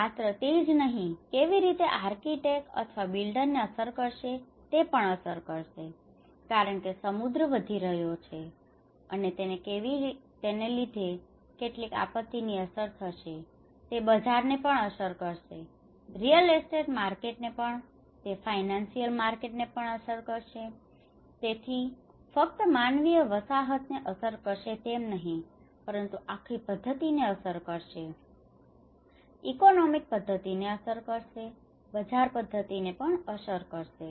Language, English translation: Gujarati, And not only that it will also how it will affect an architect or a builder, it will affect because the ocean is rising and it will have some disastrous effects, and it may also affect the markets; the real estate markets, it will also affect the financial markets so, there has been it is not just only about affecting the human habitat but the whole system, the economic system also is affected, the market system is also affected